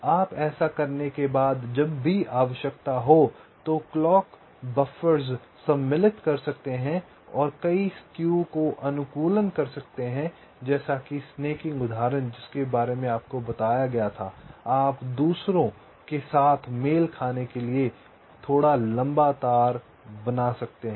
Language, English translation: Hindi, ok, so after you do this, so you can insert the clock buffers whenever required and you can carry out several skew optimization, like that snaking example lie we told you about, you may have to make a wire slightly longer to match with the others